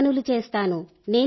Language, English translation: Telugu, I do housework